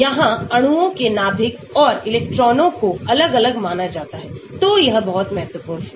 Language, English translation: Hindi, Here nuclei and electrons of the molecules are separately considered , so that is very, very important